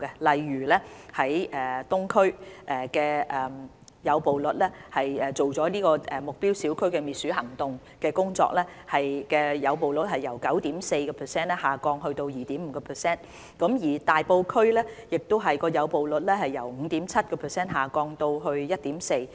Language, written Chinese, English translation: Cantonese, 例如東區的誘捕率，在進行了目標小區滅鼠行動工作後，誘捕率 9.4% 下降至 2.5%； 大埔區的誘捕率亦由 5.7% 下降至 1.4%。, For example the rat trapping rate has dropped from 9.4 % to 2.5 % after the anti - rodent work was carried out in the neighbourhoods of the Eastern District . In Tai Po the rat trapping rat has also dropped from 5.7 % to 1.4 %